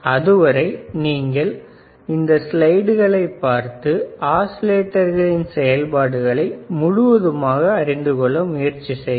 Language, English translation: Tamil, Till then you just look at these slides look at what I have taught, , understand thoroughly what does what, and how exactly the oscillator works